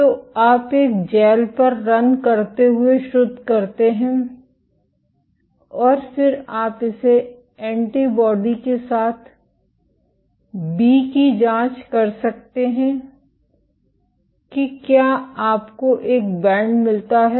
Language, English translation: Hindi, So, you purify you run on a gel and then you can probe it with the antibody to B to see if you get a band